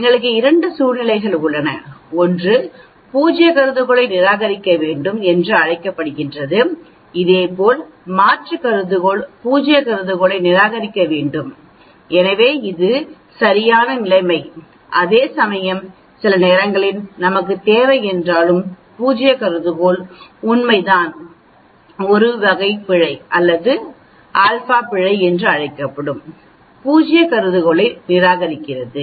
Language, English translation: Tamil, So here this is the correct, null hypothesis is true you do not reject null hypothesis, similarly alternate hypothesis need to accept reject null hypothesis so this is the correct situation, whereas in some times although we need to, null hypothesis is true we end up rejecting the null hypothesis that is called the type 1 error or alpha error